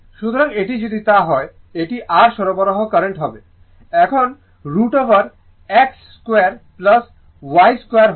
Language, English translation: Bengali, So, this is your supply current will be I now root over x square plus y square